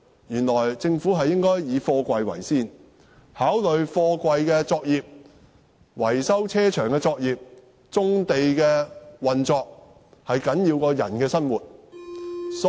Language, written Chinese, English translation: Cantonese, 原來政府是以貨櫃為先，認為貨櫃、維修車場的作業、棕地的運作都較人的生活重要。, It turns out that the Government puts containers in the first place . It considers that the operation of container yards and vehicle repair workshops on brownfield sites are more important than peoples livelihood